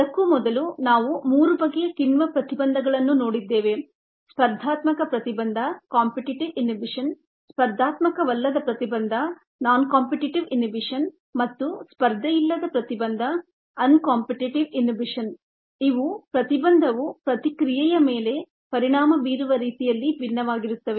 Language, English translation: Kannada, before that, in the lecture itself, we had looked at three type of inhibitions ah: the competitive inhibition, the non competitive inhibition and the uncompetitive inhibition, which were ah different in the way the inhibitor effects, the reaction in the